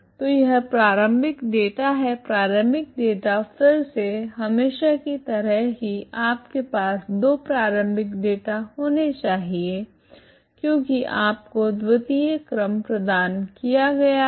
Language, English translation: Hindi, So this is the initial data, initial data is again as usual you have two initial data you have to provide because the second order ok